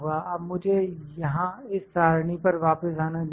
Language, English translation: Hindi, Now let me come back to this table here